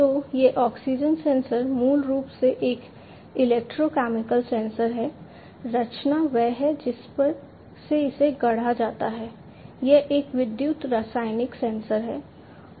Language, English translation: Hindi, So, this oxygen sensor is basically it is a electrochemical sensor, the composition is you know the way it is fabricated it is a electrochemical sensor